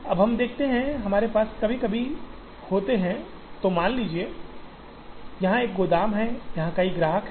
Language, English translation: Hindi, Now, let us see, there are sometimes when we have, let us assume there is a warehouse here and there are several customers here